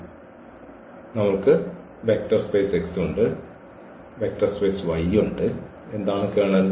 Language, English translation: Malayalam, So, we have this vector space X we have this vector space Y and what is the kernel